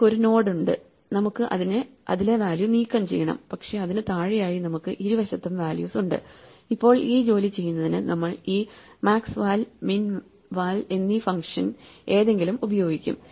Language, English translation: Malayalam, If it has two children we have a hole we have a leaf we have a node which we have to remove value, but we have values on both sides below it and now we will use this maximum function maxval or minval in order to do the work